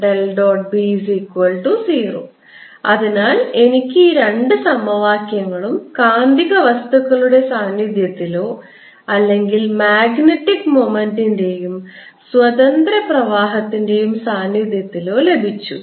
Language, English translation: Malayalam, so i have got these two equations in presence of magnetic material, or in presence of magnetic moment and free currents